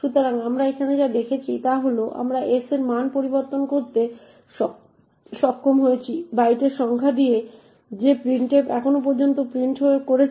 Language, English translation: Bengali, So, what we have seen here is that we have been able to change the value of s with the number of bytes that printf has actually printed so far